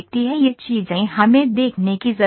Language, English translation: Hindi, These things we need to see